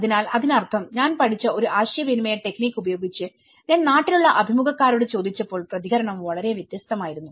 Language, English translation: Malayalam, So, which means is a communication techniques which I have learnt also, when I asked interviewers in the land the response is very different